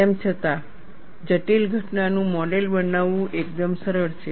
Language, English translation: Gujarati, Nevertheless, it is quite simple to model a complex phenomenon